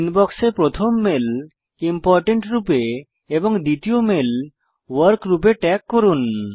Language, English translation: Bengali, Lets tag the the first mail in the Inbox as Important and the second mail as Work